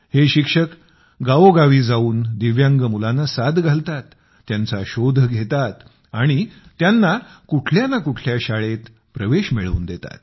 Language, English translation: Marathi, These teachers go from village to village calling for Divyang children, looking out for them and then ensuring their admission in one school or the other